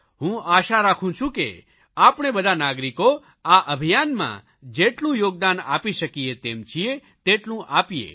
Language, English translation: Gujarati, I expect that all of us citizens should contribute as much as we can in the cleanliness mission